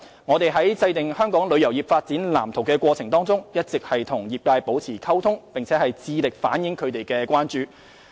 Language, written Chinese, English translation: Cantonese, 我們在制訂《香港旅遊業發展藍圖》的過程中，一直與業界保持溝通，並致力回應他們的關注。, During the formulation of the Development Blueprint for Hong Kongs Tourism Industry we had maintained communication with the industry and endeavoured to address their concerns